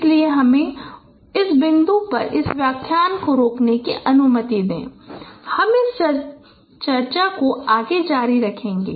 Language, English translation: Hindi, So with this, let me stop this lecture at this point and we will continue this discussion